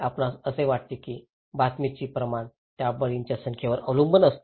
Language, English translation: Marathi, Do you think, that volume of news that depends on number of victims